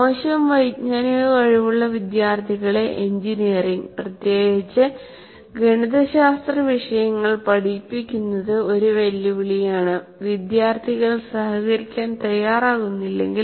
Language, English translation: Malayalam, Now teaching, engineering, especially mathematical subjects to students with poor cognitive abilities is a challenge unless the students are willing to cooperate with you